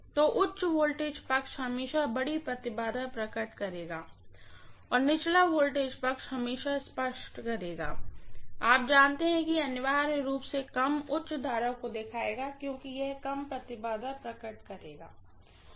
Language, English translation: Hindi, So higher voltage side will always manifest larger impedance and lower voltage side will always manifest, you know it is going to essentially show lower, higher current because of which it will manifest lower impedance